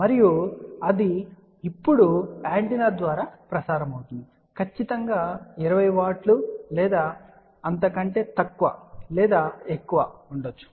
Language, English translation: Telugu, And that is transmitting through the antenna now how do we ensure that it is exactly 20 watt or it is less or more